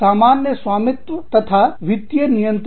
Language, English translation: Hindi, Common ownership or financial control